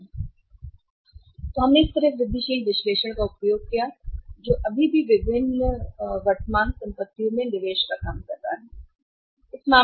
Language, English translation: Hindi, So, this is how we used incremental analysis still working out the investment in the different current assets